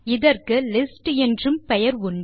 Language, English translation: Tamil, This is also called a List